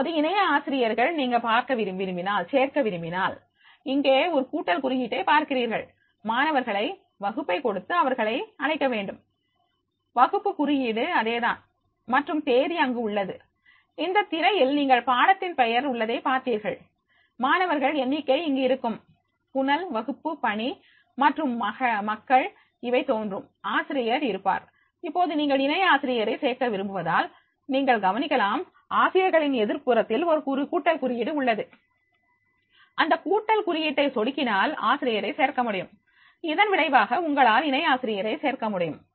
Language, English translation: Tamil, ) Now, if you want to add a co teacher than in that case also we can go that is the here if you see that is the plus sign is there, invite students to give them the class, again, you are the class code is the same and then date is there, you will find in the screenshot there is a course name is there, then number of students is there, stream, classwork and people will appear, the teacher is there, now because you want to add the co teacher, if you have noticed that just opposite the teachers there is a plus sign, click on the plus sign you will be able to add the teacher and as a result of which you can add the co teacher